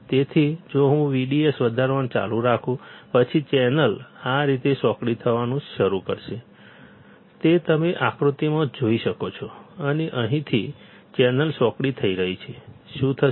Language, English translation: Gujarati, So, if I keep on increasing V D S; then, channel will start getting narrowed like this which you can see from the figure, right over here and because the channel is getting narrow, what will happen